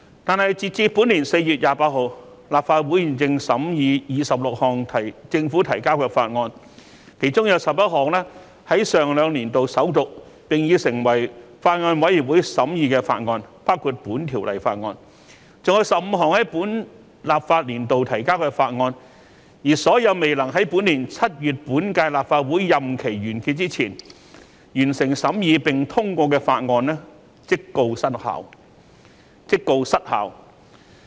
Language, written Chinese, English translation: Cantonese, 但是，截至本年4月28日，立法會現正審議26項政府提交的法案，其中11項在上兩年度首讀，並已成立法案委員會審議法案，包括《條例草案》，另外還有15項在本立法年度提交的法案，而所有未能在本年7月本屆立法會任期完結前完成審議並通過的法案，即告失效。, However as at 28 April this year the Legislative Council is deliberating 26 bills presented by the Government among which 11 have been read the First time in the last two legislative sessions and Bills Committees have been set up to study them including the Bill . Besides 15 other bills have also been presented in this legislative session